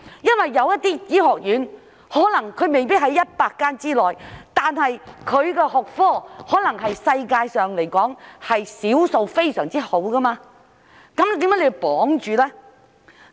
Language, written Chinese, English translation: Cantonese, 有些醫學院可能未必是在100間之內，但其學科可能是世界上少數非常好的，為何要綁住手腳呢？, Some medical schools may not be among those 100 designated ones but their academic programmes may be among the very best in the world so why should the Government bind its hands?